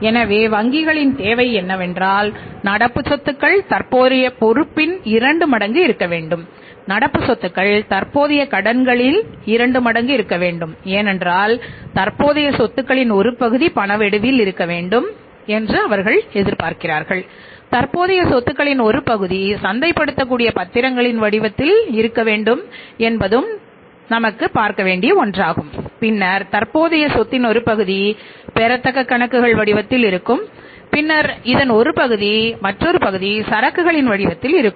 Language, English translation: Tamil, Part of the current assets must be in the form of cash, part of the current assets must be in the form of cash, then part of the current assets must be in the form of the must be in the form of cash, that is in the form of cash then part of the current assets must be in the form of marketable securities and then part of the current assets will be in the form of the accounts receivables and then part of this will be in the form of inventories